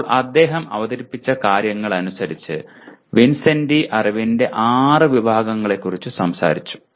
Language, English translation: Malayalam, Now what he has presented, categories of knowledge as per Vincenti, there are six categories that he talked about